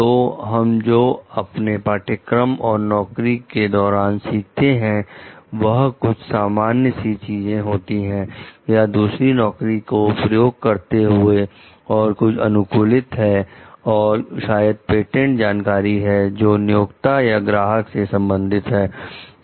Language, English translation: Hindi, So, which one we learn about in courses or on a job which is something general or using another job and something which is customized maybe perhaps patented knowledge belonging to the employer or client